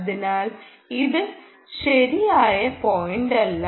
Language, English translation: Malayalam, so that is not the right point